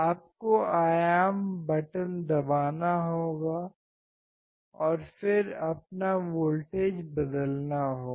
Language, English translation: Hindi, Voltage you have to press the amplitude button and then change your voltage